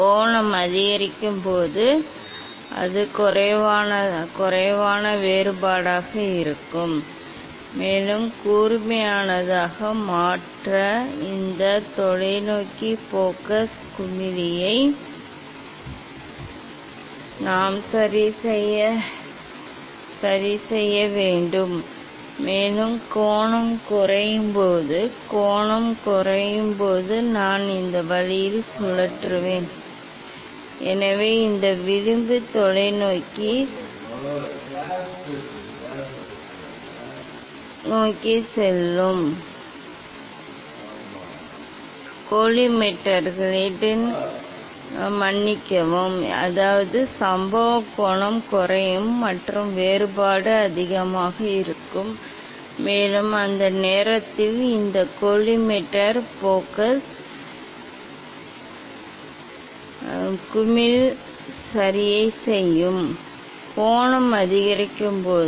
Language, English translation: Tamil, when angle is increased it will be less divergence and we have to adjust this telescope focus knob to make it sharper, And when angle will decrease, when angle will decrease means I will rotate this way, so that mean this edge will go towards the telescope, sorry towards the collimators that means, incident angle will decrease and the divergence will be more, and that time this collimator focus knob will adjust, to make it sharper, when angle is increased